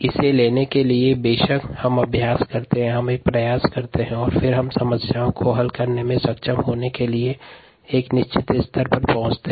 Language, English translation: Hindi, to pick it up, of course, we practice, we put an effort and then we get to a certain level of be able to do problems